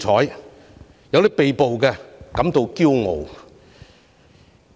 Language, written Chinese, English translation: Cantonese, 是誰說因被補而感到驕傲？, Who said that it was an honour to be arrested?